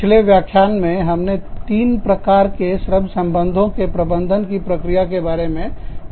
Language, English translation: Hindi, We talked about, in the previous lecture, we talked about, three types of management, of the labor relations process